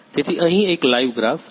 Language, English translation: Gujarati, So, here is a live graph